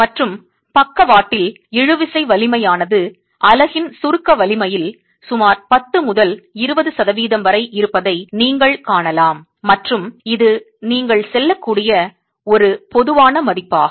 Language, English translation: Tamil, And on the side lines you can see that the tensile strength is roughly about 10 to 20% of the compressive strength of the unit and that's a typical value that you can go with